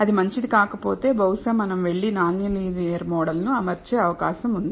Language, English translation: Telugu, If it is not good then perhaps we may have to go and fit an non linear model